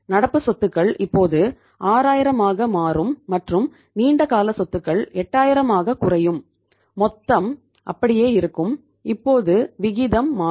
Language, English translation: Tamil, The current assets will become here if you talk about the current assets will become now 6000 and the long term assets will come down to 8000, total remaining the same and now the ratio will change